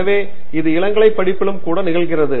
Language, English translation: Tamil, So, it can even happen in the undergraduate stage